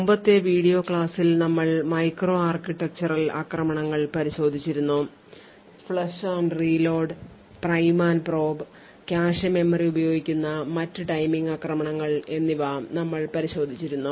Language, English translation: Malayalam, So, in the previous video lectures we had looked at micro architectural attacks, we had looked at flush and reload, the prime and probe and other such timing attach which uses the cache memory